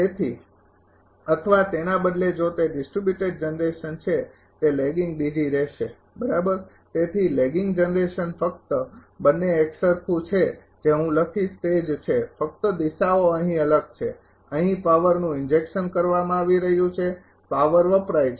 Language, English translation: Gujarati, So, or instead of if it is a distributor generation it will be lagging D g right so, lagging generation only both are same whatever I will write both are same, only directions are different here power being injected here power being observed right